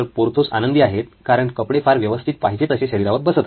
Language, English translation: Marathi, Porthos is happy because the clothes fit well